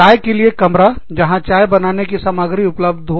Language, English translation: Hindi, Just a tea room, where you have basic materials, for tea